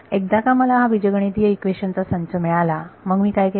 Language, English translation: Marathi, Once I got the system of algebraic equations what did I do